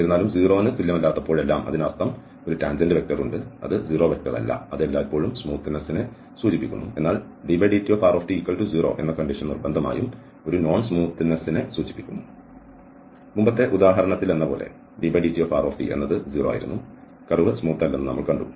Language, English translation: Malayalam, However, that whenever we have not equal to 0 that means there is a tangent vector which is not a 0 vector that always implies smoothness but not the other way around that dr over dt is 0 necessarily implies that there is a non smoothness